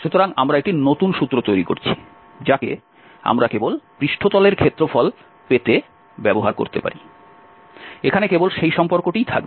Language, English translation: Bengali, So, we are forming a new formula where we can simply use to get the surface area so, that is the relation here